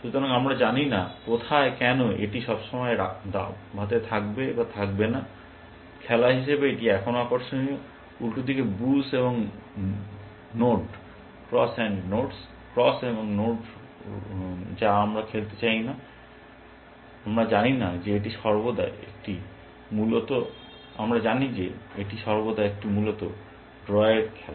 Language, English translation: Bengali, So, we do not know, where a why it will always been in chess or not, which is by the game is still interesting, as oppose to cross and nodes, which we do not want to play because we know that it is always a drawn game essentially